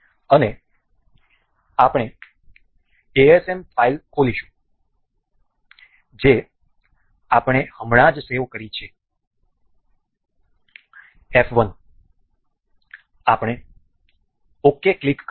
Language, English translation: Gujarati, And we will open that asm file that we just saved this f 1 we will click ok